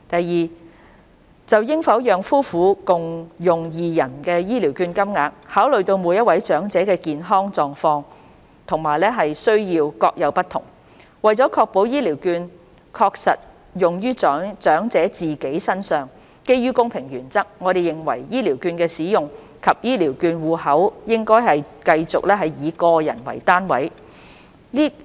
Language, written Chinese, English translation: Cantonese, 二就應否讓夫婦共用二人的醫療券金額，考慮到每位長者的健康狀況和需要各有不同，為了確保醫療券確實用於長者自己身上，基於公平原則，我們認為醫療券的使用及醫療券戶口應繼續以個人為單位。, 2 As regards whether couples should be allowed to share the voucher amounts having considered that every elders health conditions and needs are different in order to ensure that the elders spend the vouchers on themselves and based on the principle of fairness we consider that the use of the vouchers and the voucher accounts should continue to be on an individual basis